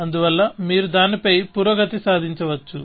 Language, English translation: Telugu, So, you could progress over it